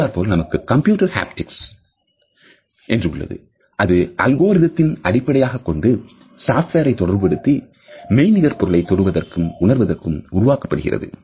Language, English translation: Tamil, Then we have computer haptics which is based on algorithms and software’s associated with generating and rendering the touch and feel of virtual objects